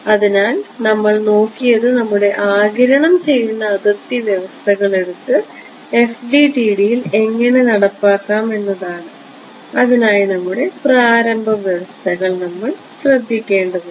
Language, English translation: Malayalam, So, what we have what we have looked at is how to take your absorbing boundary conditions and implement them in FDTD and for that we need to take care of our very initial conditions right